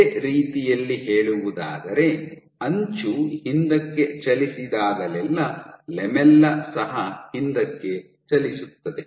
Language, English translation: Kannada, In other words, whenever the edge moves back the lamella also moves back